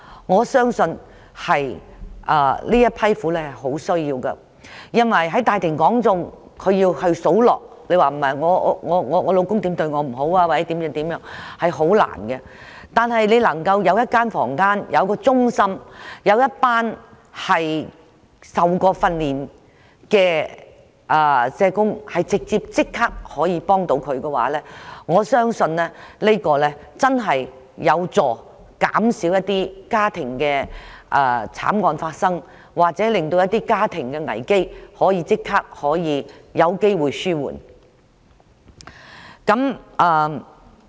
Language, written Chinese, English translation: Cantonese, 我相信她們極需要這種支援，因為要她們在大庭廣眾數落丈夫如何待她不好是很困難的事，如果能夠有一個房間或中心，以及一群曾接受訓練的社工，可立刻提供協助的話，我相信會真正有助減少家庭慘案發生，或令家庭危機有機會獲即時紓緩。, I believe they are in great need of this kind of assistance because it is very difficult for a woman to give an account of how she is badly treated by her husband in a public area . If a room or a centre where there is a group of trained social workers who can offer immediate assistance can be arranged for these women I believe the occurrence of family tragedies can be reduced or certain family crises can be immediately alleviated